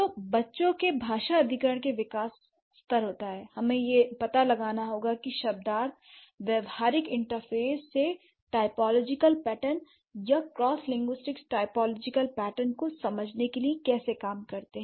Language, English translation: Hindi, So, in case of the child language acquisition, when the development happens at the language level, we have to find out how the semantics pragmatic interface works to understand the typological pattern or to understand the cross linguistic typological pattern